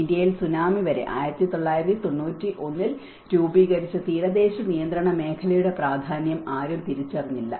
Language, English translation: Malayalam, In India, until the Tsunami, no one have realized the importance of coastal regulation zone which was earlier formulated in 1991